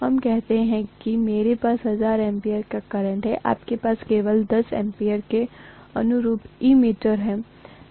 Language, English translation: Hindi, Let us say I have 1000 amperes of current, you have an ammeter only corresponding to 10 ampere